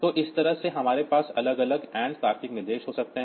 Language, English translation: Hindi, So, this way we can have different and logical instruction